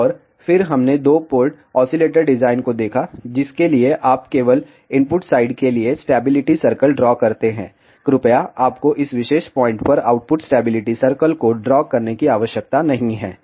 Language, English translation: Hindi, And then we looked at two port oscillator design for which you draw the stability circle for only input side, please you do not have to draw the output stability circle at this particular point